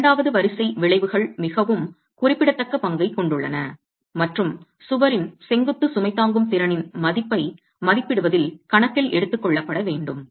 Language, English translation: Tamil, So, the second order effects have a very significant role and have to be accounted for in estimating the value of the vertical load carrying capacity of the wall itself